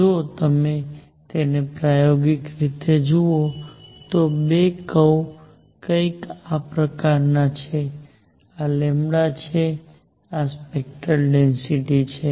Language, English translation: Gujarati, If you see it experimentally, the two curve is something like this, this is lambda, this is spectral density